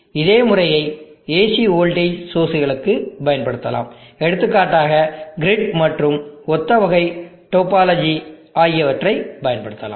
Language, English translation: Tamil, The same method can be applied even to AC voltage sources for example, the grid and similar type of topology can be used